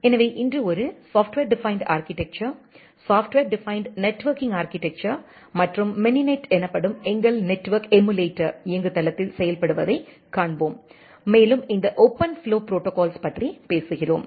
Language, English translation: Tamil, So, today we will see then implementation of a Software Defined Architecture, Software Defined Networking architecture and in our network emulator platform called mininet and we are talking about these OpenFlow protocol